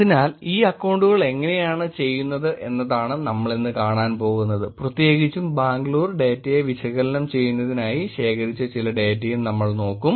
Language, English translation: Malayalam, So, what we are going to be looking at this is, how these accounts are doing, in specific we will also look at some data that was collected to analyze Bangalore data itself